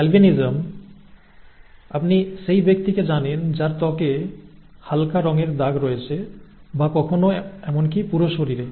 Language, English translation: Bengali, Albinism, you know the person withÉ who has light coloured skin patches, skin patches or sometimes even the entire body that is albinism, okay